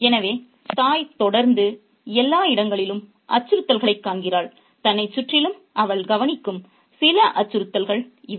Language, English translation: Tamil, So, the mother constantly seems to see threats everywhere all around her and these are some of the threats that she notices